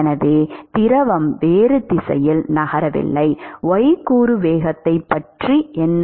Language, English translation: Tamil, So, the fluid is not made to move in the other direction what about the y component velocity